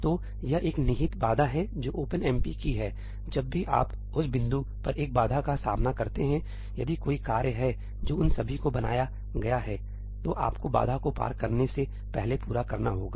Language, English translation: Hindi, So, this is an implicit barrier that OpenMP has; whenever you encounter a barrier at that point if there are any tasks that have been created all of them have to complete before you go pass the barrier